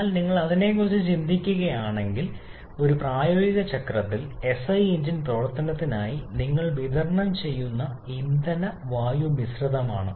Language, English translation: Malayalam, But if you think about the practical cycle, for an SI engine operation, it is a fuel air mixture that you supply